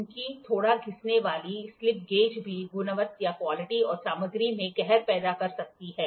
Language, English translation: Hindi, Since even a slighter is worn out a slip gauge to create a havoc in the quality and material